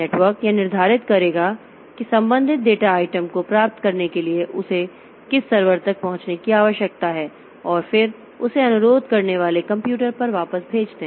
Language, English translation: Hindi, The network will determine which server it needs to access to get the corresponding data item and then send it back to the requesting computer